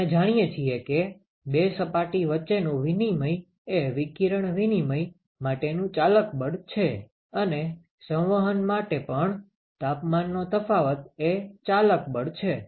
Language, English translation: Gujarati, We know that the exchange between the two surfaces is the driving force for radiation exchange and for convection also it is the temperature difference, which is the driving force